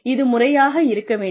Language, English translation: Tamil, It has to be systematic